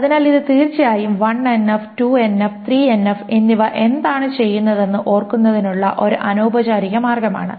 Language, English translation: Malayalam, So this is, of course, I mean, informal way of remembering what the 1NF, 2NF and 3NF does